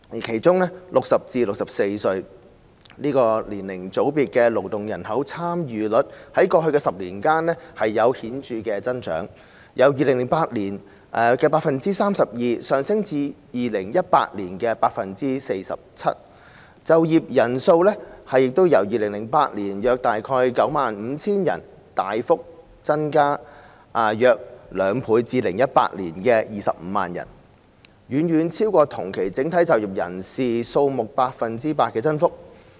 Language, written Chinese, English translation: Cantonese, 其中 ，60 歲至64歲這個年齡組別的勞動人口參與率在過去10年顯著增長，由2008年的 32% 上升至2018年的 47%； 就業人數亦由2008年的約 95,000 人大幅增加近兩倍至2018年的 250,000 人，遠超整體就業人數同期的 8% 增幅。, In particular the labour force participation rate of this age group of 60 to 64 has increased significantly over the past decade from 32 % in 2008 to 47 % in 2018 . The number of employed persons has substantially increased by nearly two folds from about 95 000 in 2008 to 250 000 in 2018 far exceeding the 8 % increase in the overall working population during the same period